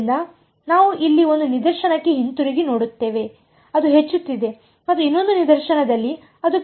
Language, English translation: Kannada, So, we look back over here one case its going up and the other case is going down right